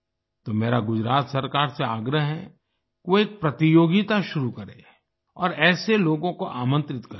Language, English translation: Hindi, I request the Gujarat government to start a competition and invite such people